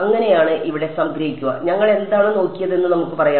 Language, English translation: Malayalam, So that is so, summarize over here let us what we did we looked at the